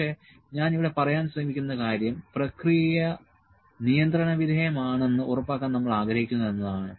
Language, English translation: Malayalam, But, the point I am trying to make here is that we would like to make sure that the process is in a state of control